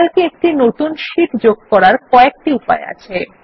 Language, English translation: Bengali, There are several ways to insert a new sheet in Calc